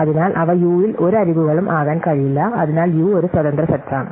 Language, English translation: Malayalam, So, they cannot be any edges with in U, therefore, U is an independence set